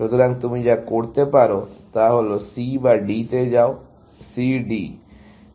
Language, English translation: Bengali, So, the only thing you can do is, go to C or to D; C D